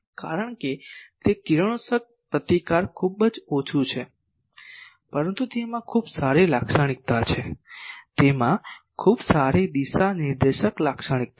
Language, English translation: Gujarati, Because it is radiation resistance is very low, but it has a very good characteristic it has a very good directive characteristic